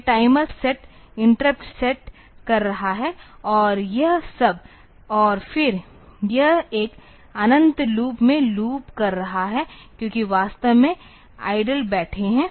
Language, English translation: Hindi, It is setting the timers setting interrupt and all that and then it is looping in an infinite loop because sitting idle actually